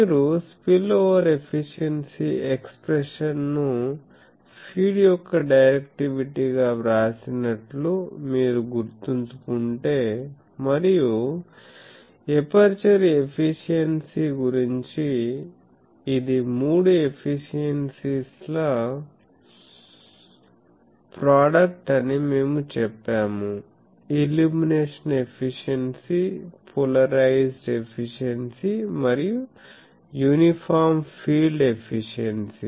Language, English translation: Telugu, So, I think if you remember you have written the spillover efficiency expression as the directivity of the feed and about the aperture efficiency we have said that it is the product of three efficiencies; the illumination efficiency, the polarisation efficiency and the uniform field efficiency